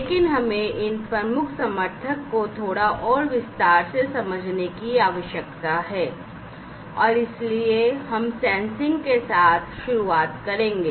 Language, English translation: Hindi, But we need to understand these key enablers, in little bit more detail and so we will start with the Sensing